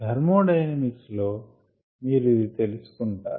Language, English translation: Telugu, from thermodynamics you would know this ah